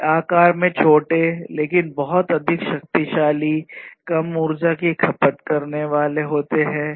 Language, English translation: Hindi, They are smaller in size, but much more powerful, less energy consuming